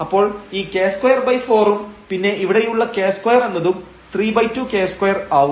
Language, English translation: Malayalam, So, this k square by 4 and then here we have this k square was 3 by 2 k square